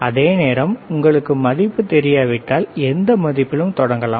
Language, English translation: Tamil, So, you can you can start at any value if you do not know the value